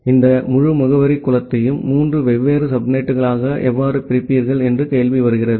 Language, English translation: Tamil, So, the question comes that how will you divide this entire address pool into three different subnets